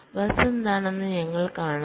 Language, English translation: Malayalam, this is with respect to the bus